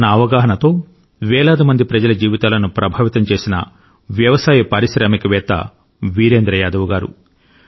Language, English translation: Telugu, Shri Virendra Yadav ji is one such farmer entrepreneur, who has influenced the lives of thousands through his awareness